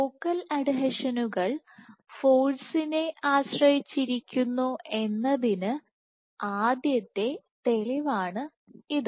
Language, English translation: Malayalam, So, this was the first proof that focal adhesions exhibit force dependent